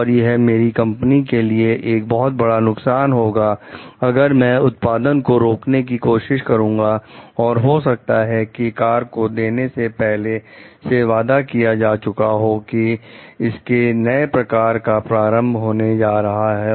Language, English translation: Hindi, So, it will be a huge loss for my company if I am like trying to stop the production and maybe the car has already promised like it is going to launch a new variety